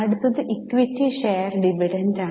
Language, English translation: Malayalam, Next is equity share dividend